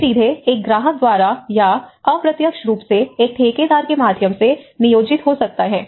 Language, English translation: Hindi, They may be employed directly by a client or indirectly through a contractor